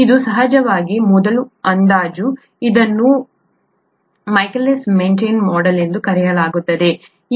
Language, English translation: Kannada, This is of course, this is a first approximation, this is called the Michaelis Menton model